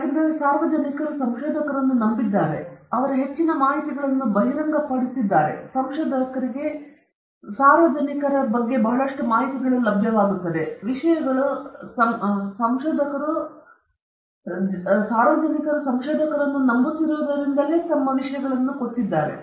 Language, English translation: Kannada, And, they have trusted the researcher, and revealed a lot of information about them, and researcher now has a lot of information about the subject, and this is happening because the subjects trust the researchers